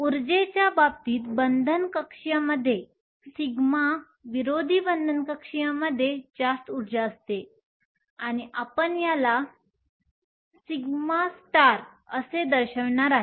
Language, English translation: Marathi, In terms of energy the bonding orbital sigma has a higher energy than the anti bonding orbital and I am going to denote this as sigma star